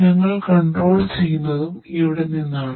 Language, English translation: Malayalam, And we control from there